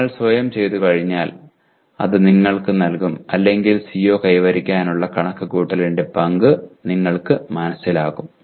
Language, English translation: Malayalam, This will give you once you do it by yourself it will give you or rather you will understand the role of computing the CO attainment